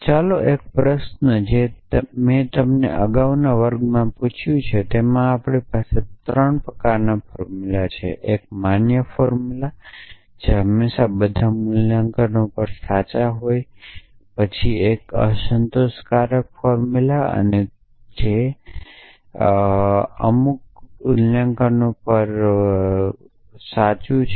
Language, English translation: Gujarati, So, let us a question I asked you earlier in the last class we have 3 kinds of formulas; one is valid formulas which are always true on the all valuations there are satisfiable formula which are true under some valuations